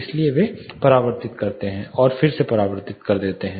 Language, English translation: Hindi, So, that they get reflected and re reflected